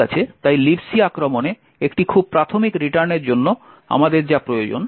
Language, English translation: Bengali, Okay, so this is all that we need for a very basic return to libc attack